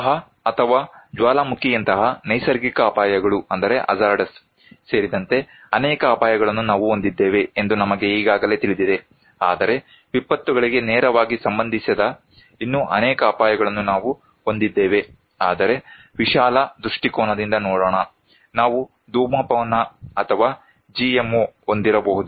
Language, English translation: Kannada, We already know that we have many hazards including natural hazards okay, like flood or kind of volcano but also we have many other hazards which are not directly related to disasters but let us look at in a broader perspective, we could have smoking or GMO